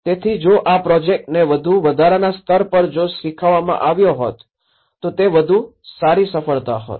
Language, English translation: Gujarati, So, if this same project has been taught in a more of an incremental level, that would have been a better success